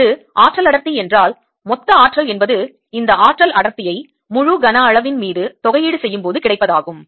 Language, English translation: Tamil, if that is the energy density density, the total energy comes out to be this energy density integrated over the entire volume